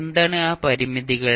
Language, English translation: Malayalam, What are those limitations